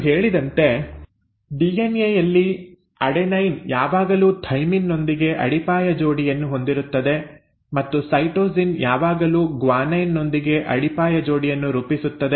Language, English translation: Kannada, As I mentioned, in DNA, an adenine will always base pair with a thymine and a cytosine will always form of base pair with a guanine